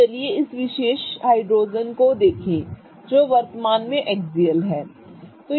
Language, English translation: Hindi, Okay, so let us look at this particular hydrogen which is currently in the axial up form, right